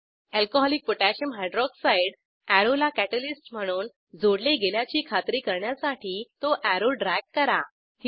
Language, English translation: Marathi, Drag arrow to check if Alcoholic Potassium Hydroxide (Alc.KOH) attaches to the arrow, as a catalyst